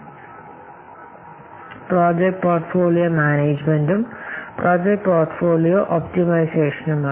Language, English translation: Malayalam, Another is project portfolio management and then project portfolio optimization